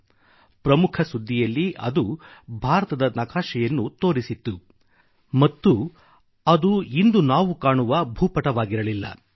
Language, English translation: Kannada, In their lead story, they had depicted a map of India; it was nowhere close to what the map looks like now